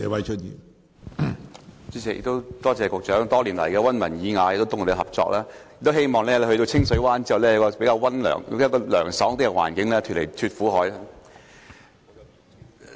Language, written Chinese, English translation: Cantonese, 主席，我感謝局長多年來溫文爾雅地通力合作，希望他日後在清水灣會有較涼快的工作環境，從此"脫苦海"。, President I thank the Secretary for his refined and cultivated cooperation throughout the past years . I hope that he will have a cooler working environment in Clear Water Bay and can thus get away from the misery